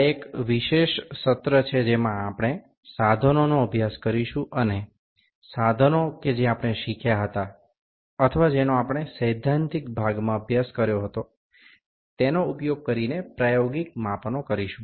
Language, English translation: Gujarati, This is the special session wherein we will study the instruments will do the practical measurements using the instruments that we have learned or that we have studied in those theoretical part